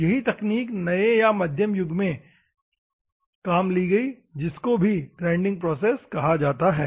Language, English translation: Hindi, The same technologies applied in the modern era or in the mid era that is called the grinding process